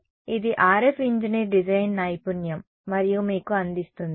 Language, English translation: Telugu, So, this is what the RF engineer design skill and gives it to you